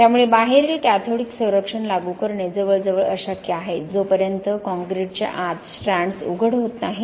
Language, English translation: Marathi, So to apply cathodic protection outside is almost impossible, unless the strands are exposed inside the concrete